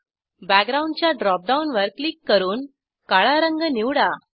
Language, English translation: Marathi, Click on Background drop down to select black color